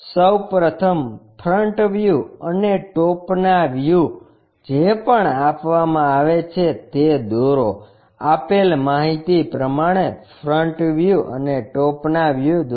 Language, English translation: Gujarati, First of all, whatever the front view and top view is given draw them, draw front view and top view as per the given information